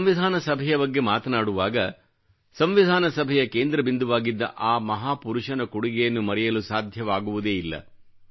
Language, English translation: Kannada, My dear countrymen, while talking about the Constituent Assembly, the contribution of that great man cannot be forgotten who played a pivotal role in the Constituent Assembly